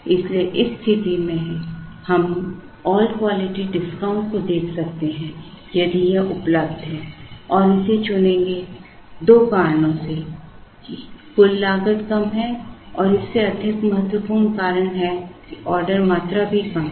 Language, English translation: Hindi, So, in this situation we could look at the all quantity discount if it is available and chose this, for two reasons that the total cost is lower and more than that the order quantity is also lesser